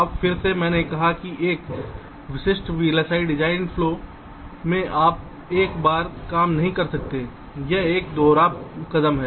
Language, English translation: Hindi, now, again, i have said that in a typical vlsi design flow you cannot do the thing in one go